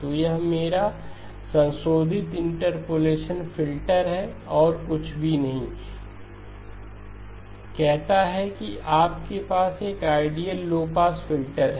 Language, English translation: Hindi, So this is my modified interpolation filter and nothing says that you have to have an ideal low pass filter